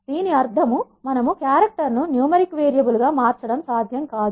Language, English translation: Telugu, This means the coercion from the characters to numeric numerical variables is not possible